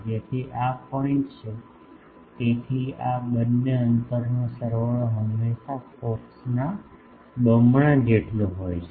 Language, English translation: Gujarati, So, this is the point so, sum of these two distances is always equal to twice of the focus